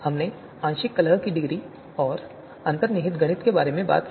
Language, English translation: Hindi, We talked about the partial discordance degree and the underlying mathematics